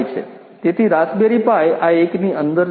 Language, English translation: Gujarati, So, raspberry pi is inside this one